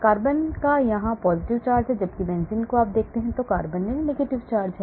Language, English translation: Hindi, carbon has a positive charge here, whereas in the benzene you see carbons have negative charge,